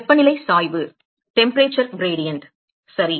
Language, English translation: Tamil, The temperature gradient right